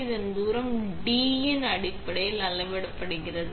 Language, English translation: Tamil, This distance is measured in terms of D